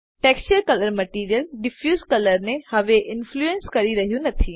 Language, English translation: Gujarati, The texture color no longer influences the Material Diffuse color